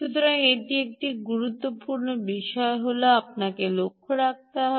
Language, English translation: Bengali, um, so this is one important thing which you have to note